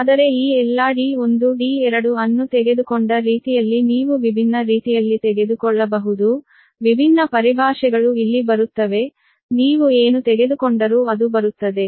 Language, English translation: Kannada, but because d, d, c, all these, d one, d two, the way it had been taken, you can take different way, different terminology will come here, different your, that nomenclature, whatever you take, it will come